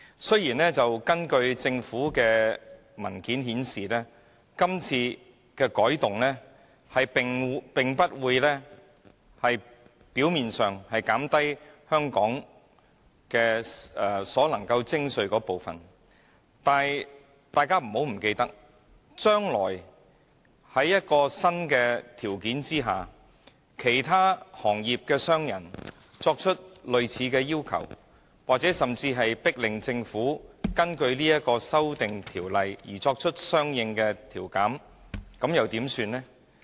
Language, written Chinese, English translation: Cantonese, 雖然，根據政府文件顯示，從表面上看，今次的改動並不會令香港所能徵收的稅款有所減少，但大家不要忘記，將來根據新的條款，假若其他行業的商人提出類似要求，或甚至迫令政府根據修訂條例作出相應稅務寬減時，又怎麼辦呢？, Apparently as explained in the government papers the changes proposed this time will not reduce Hong Kongs tax revenue . But we must not forget one thing . What is the Government going to do in the future if other industries put forward a similar request based on the new provisions as the precedent or if other industries force the Government to offer a corresponding tax concession under the amended ordinance?